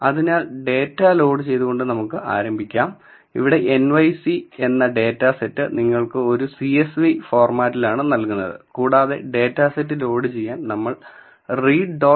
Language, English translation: Malayalam, So, let us start by loading the data so, the data set ‘nyc’ is given to you in a “csv" format and to load the dataset we are going to use the function read dot csv